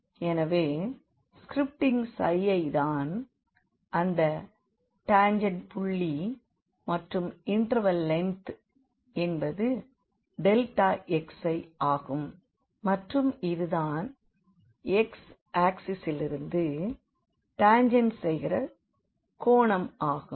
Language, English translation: Tamil, So, this is the tangent line at this x i i point and this is the interval length here delta x i and this is suppose the angle which tangent makes from the x axis